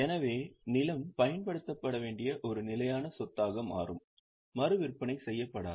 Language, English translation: Tamil, So land becomes a fixed asset to be used and not to be resold